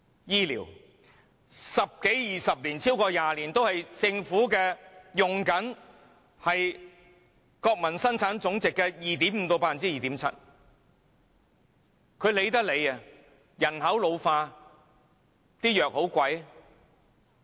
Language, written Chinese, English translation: Cantonese, 醫療，十多二十年，超過20年政府都是用國民生產總值的 2.5% 至 2.7% 來處理，她懶得理會。, She says she has done her best . She says she has done her best in all respects . But she has turned a blind eye to the fact that for 10 to 20 years the Government has just used merely 2.5 % to 2.7 % of our GDP for the provision of health care services